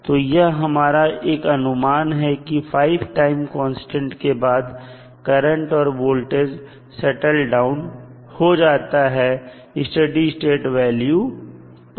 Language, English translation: Hindi, So, that is the approximation we take that after 5 time constants the value of current in this case or voltage in this case will settle down to a steady state value